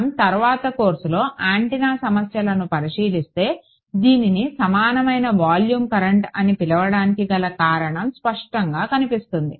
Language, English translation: Telugu, When we look at antenna problems later on in the course the reason why this is called a equivalent volume current will become clear ok